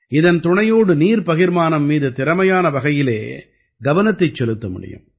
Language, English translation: Tamil, With its help, effective monitoring of water distribution can be done